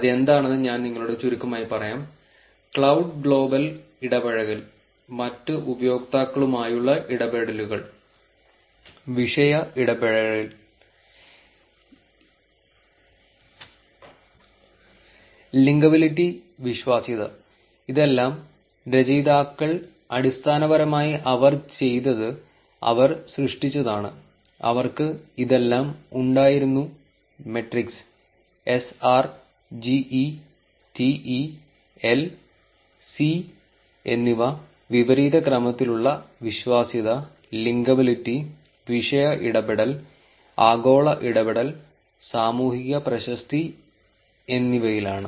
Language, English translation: Malayalam, I will briefly tell you what they are, social reputation which is like the cloud global engagement, interactions with the other users, topic engagement, linkability, credibility, all of this, the authors basically what they did was they created, they had all these metrics SR, GE, TE, L and C which is in the reverse order credibility, linkability, topic engagement, global engagement and social reputation